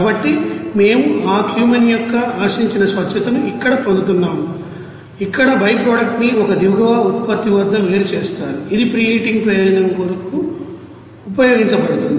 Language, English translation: Telugu, So, we are getting here that you know desired you know purity of that Cumene and here that byproduct will be separated at a bottom product which will be used for preheating purpose